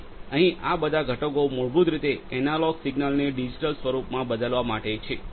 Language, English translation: Gujarati, So, all these components here are basically to change the analog signals to digital form